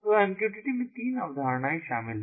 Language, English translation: Hindi, so in mqtt there are three concepts that are involved